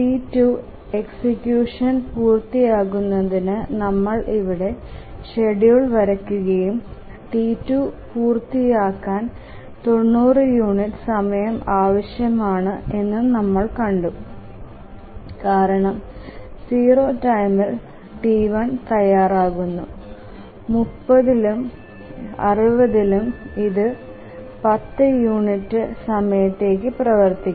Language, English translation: Malayalam, Then for T2 to complete execution, we can draw the schedule here and see that T2 needs 90 units of time to complete because whenever T1 becomes ready during 0, during 30, during 60, it will run for 10 units of time